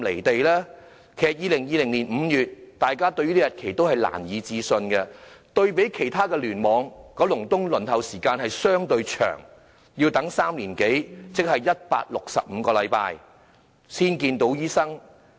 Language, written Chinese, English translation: Cantonese, 對於2020年5月這個日期，大家也感到難以置信，對比其他聯網，九龍東的輪候時間相對長，要等3年多，即是165個星期才能見醫生。, People find it hard to believe it will be until May 2020 . Compared to other clusters the waiting time in Kowloon East is relatively longer which is more than three years meaning 165 weeks before one can see a doctor